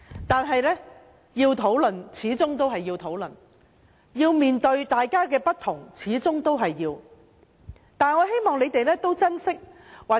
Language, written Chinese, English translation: Cantonese, 但是，要討論的事，始終都要討論；要面對大家的不同，始終都要面對。, Nevertheless matters which warrant discussion must ultimately be discussed . Likewise Members have to face their differences